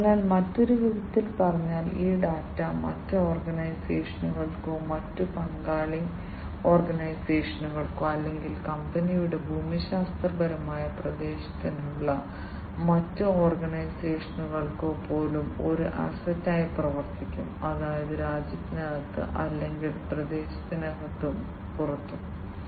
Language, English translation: Malayalam, So, you know in other words basically, this data can serve as an asset to other organizations, other partner organizations or even the other organizations within the geographic territory of the company, where it is operating that means within the country or, within the region and outside the region